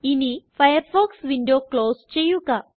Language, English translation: Malayalam, Now close this Firefox window